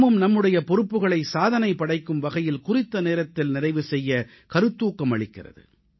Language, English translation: Tamil, This also inspires us to accomplish our responsibilities within a record time